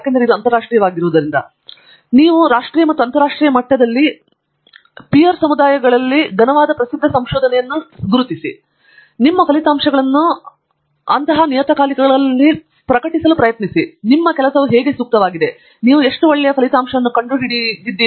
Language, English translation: Kannada, But, identify a solid reputed research to peer communities both, nationally and internationally and try to publish your results there and that is the number one way of figuring out how relevant your work is, how good you are